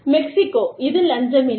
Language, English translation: Tamil, Mexico, it is not bribery